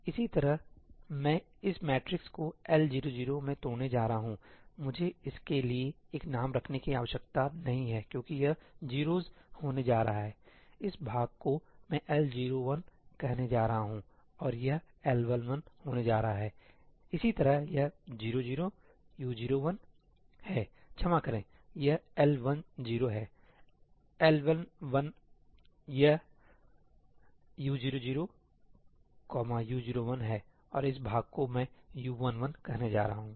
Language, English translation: Hindi, Similarly, I am going to break this matrix into L 0 0; I do not need to have a name for this one because this is going to be 0s; this part I am going to call L 0 1 and this is going to be L 1 1, similarly this is U 0 0, U 0 1, sorry, this is L 1 0, L 1 1 this is U 0 0, U 0 1 and this part I am going to call U 1 1